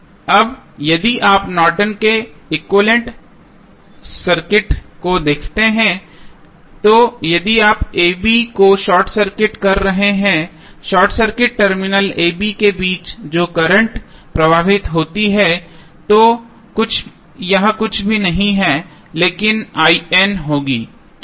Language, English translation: Hindi, Now, if you see the Norton's equivalent circuit now if you short circuit a and b the current flowing through the short circuit terminal that is between a, b would be nothing but I N why